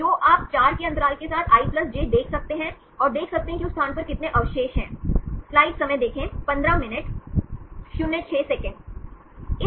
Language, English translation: Hindi, So, you can see i+j with the interval of 4, and see how many residues in that particular place